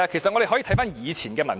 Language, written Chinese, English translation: Cantonese, 我們可以翻看以前的文件。, We can refer to previous documents